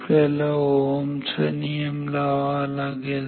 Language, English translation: Marathi, So, we need to apply Ohms law